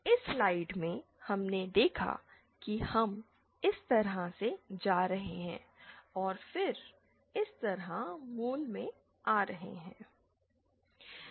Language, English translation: Hindi, In this slide we saw that we are going like this and then coming like this to the origin